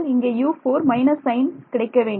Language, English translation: Tamil, So, for U 4 this should be a minus sign